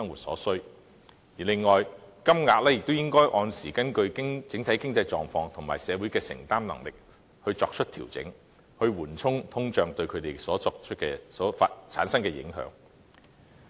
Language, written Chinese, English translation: Cantonese, 此外，金額亦應定時根據整體經濟狀況及社會的承擔能力作出調整，緩衝通脹對他們產生的影響。, Furthermore the level of payment should also be regularly adjusted in accordance with the overall economic condition and public affordability so as to mitigate the impact of inflation on them